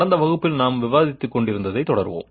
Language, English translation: Tamil, Let me continue what we were talking about in the last class